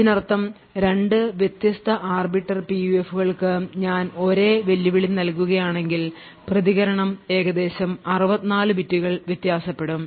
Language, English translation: Malayalam, So this means that if I provide the same challenge to 2 different Arbiter PUFs, the response would vary by roughly 64 bits